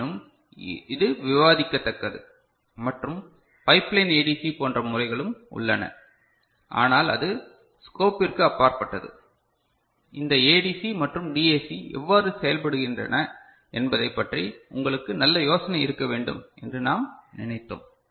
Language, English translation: Tamil, But still it is worth discussing and there are methods also; like pipeline ADC, but that is beyond the scope we wanted to have you fairly good idea about how this ADC and DAC work